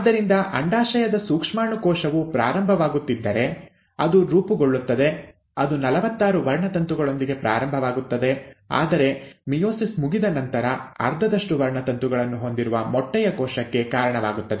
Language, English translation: Kannada, So, if the germ cell of the ovary is starting, it will form, it will start with forty six chromosomes but after the end of meiosis, will give rise to an egg cell with half the number of chromosomes